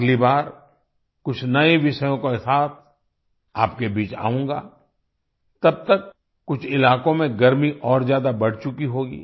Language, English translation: Hindi, Next time I will come to you with some new topics… till then the 'heat' would have increased more in some regions